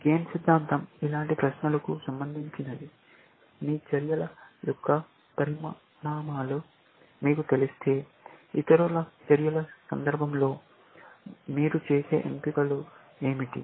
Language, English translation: Telugu, Game theory is concerned with questions like this; that if you know the consequences of your actions, in the context of other people’s actions, what are the choices that you will make